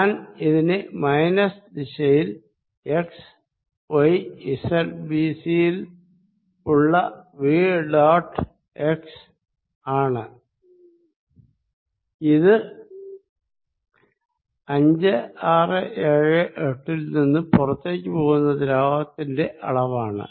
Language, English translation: Malayalam, So, I am going to write this as v dot x in the minus direction at x, y, z b c this is fluid leaving from 5, 6, 7, 8